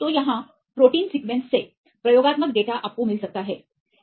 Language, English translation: Hindi, So, here the protein sequence I will get the experimental data you can get the protein sequence